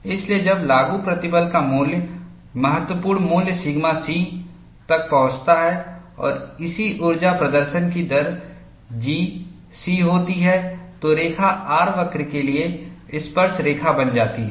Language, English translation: Hindi, So, when the value of the applied stress reaches the critical value sigma c, and the corresponding energy release rate is G c, the line becomes tangent to the R curve